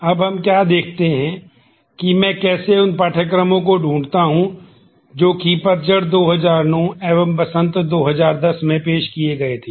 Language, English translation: Hindi, Now let us see what how do I find courses that are offered in fall 2009 and in spring 2010